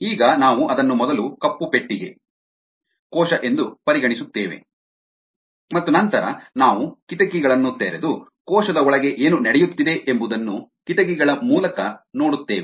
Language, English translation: Kannada, now we said we will first consider it is a black box, the cell, and then we will open up windows and look through the windows to see what is happening inside the cell